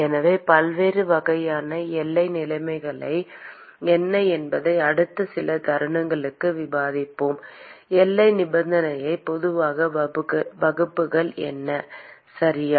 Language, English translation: Tamil, So, let us now discuss for the next few moments as to what are the different types of boundary conditions what are the general classes of boundary condition, okay